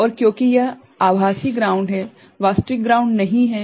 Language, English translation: Hindi, And, since is it is virtual ground, is not actual ground